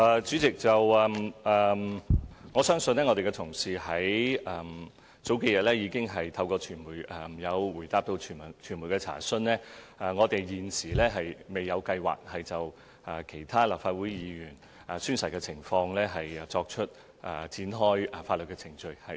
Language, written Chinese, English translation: Cantonese, 主席，我的同事在數日前答覆傳媒查詢時，已表示我們現時未有計劃就其他立法會議員宣誓的情況展開法律程序。, President in his reply to media enquiries several days ago a colleague of mine has already said that we currently have no plan to institute proceedings against any other Legislative Council Members in respect of their oath taking